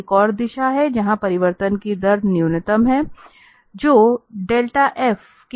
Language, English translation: Hindi, And there is another direction, where the rate of change is minimum, which is just opposite to del f